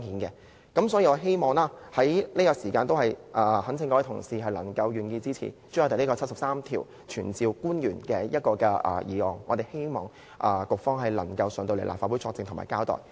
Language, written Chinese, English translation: Cantonese, 因此，我懇請各位同事支持朱凱廸議員根據《基本法》第七十三條提出有關傳召官員的議案，希望局方可以前來立法會作證和交代。, Therefore I implore my colleagues to support the motion moved by Mr CHU Hoi - dick under Article 73 of the Basic Law to summon the official . I hope bureau officials can come to the Legislative Council to testify and give explanation